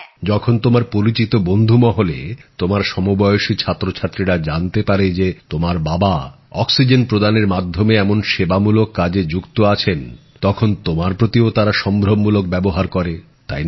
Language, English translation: Bengali, When your friend circle, your fellow students learn that your father is engaged in oxygen service, they must be looking at you with great respect